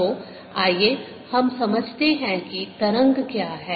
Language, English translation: Hindi, so let us understand what a wave is